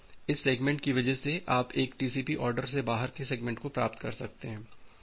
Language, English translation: Hindi, And because of that this segments, you may receive the segments out of order a TCP